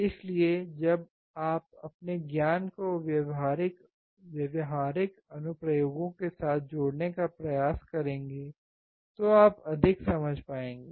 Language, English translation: Hindi, So, when you try to correlate your knowledge with a practical applications, you will understand more